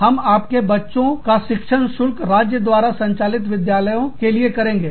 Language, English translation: Hindi, Will only pay, for your children's education, in state run schools